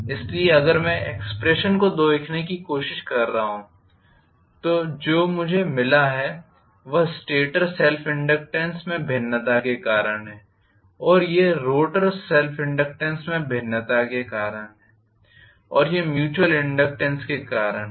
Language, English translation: Hindi, So, if I trying to look at the expression now what we got this is due to stator self inductance variation and this is due to rotor self inductance variation and this is due to mutual